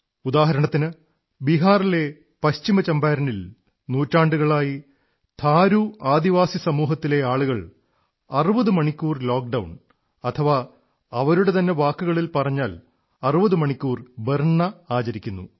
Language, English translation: Malayalam, For example, in West Champaran district of Bihar, people belonging to Thaaru tribal community have been observing a sixtyhour lockdown for centuries…